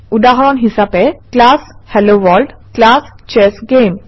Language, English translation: Assamese, * Example: class HelloWorld, class ChessGame